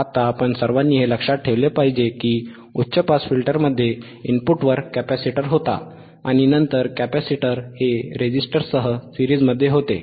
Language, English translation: Marathi, Now, we all remember, right, we should all remember that in high pass filter, there was capacitor at the input, and then capacitor was in series with a resistor